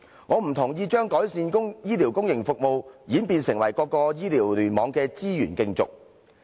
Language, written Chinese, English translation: Cantonese, 我不同意將改善公營醫療服務演變成各個醫療聯網的資源競逐。, I disagree with the idea that the enhancement of public healthcare services will develop into a scramble for resources among various hospital clusters